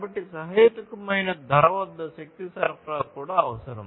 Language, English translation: Telugu, So, it is required to have energy supply also at reasonable price